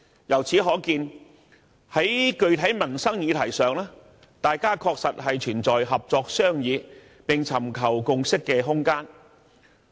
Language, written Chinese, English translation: Cantonese, 由此可見，在具體民生議題上，大家確實存在合作商議並尋求共識的空間。, From this we can see that there is indeed room for cooperation and consensus on livelihood issues